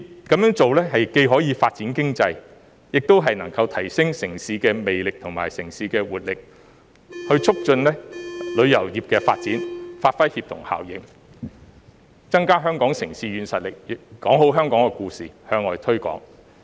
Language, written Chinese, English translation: Cantonese, 這樣做既可發展經濟，也能夠提升城市魅力和活力，促進旅遊業發展，發揮協同效應，增加香港的城市軟實力，說好香港故事，向外推廣。, In doing so we can develop the economy enhance the charisma and vitality of the city and promote the development of tourism . Through leveraging the synergy the soft power of Hong Kong as a city can be stepped up and there will be better stories of Hong Kong for us to promote it overseas